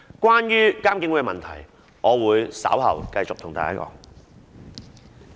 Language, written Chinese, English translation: Cantonese, 關於監警會的議題，我稍後會繼續討論。, As regards the issue of IPCC I will continue to discuss it later on